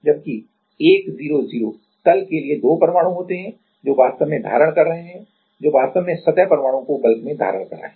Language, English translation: Hindi, Whereas, for 1 0 0 plane, there are two atoms; which are actually holding which are actually holding the surface atom to the bulk